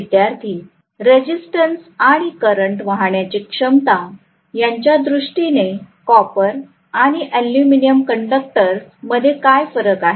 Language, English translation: Marathi, What is the difference between copper and aluminium conduction in terms of resistance and current carrying capacity